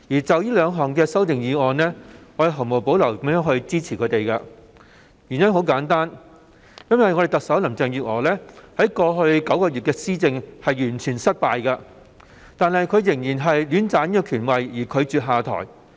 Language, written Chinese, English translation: Cantonese, 就這些修訂議案，我會毫無保留予以支持，原因非常簡單，就是因為特首林鄭月娥在過去9個月的施政完全失敗，但卻仍然戀棧權位，拒絕下台。, I support these amendments without reservation for a pretty simple reason that is Chief Executive Carrie LAM has completely failed in her administration in the past nine months but still wants to stay in the powerful position and refuses to step down